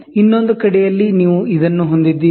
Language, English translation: Kannada, On the other way round, you have this